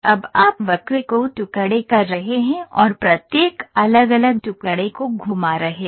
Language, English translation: Hindi, You are now getting into fragmenting the curve and moving each individual fragment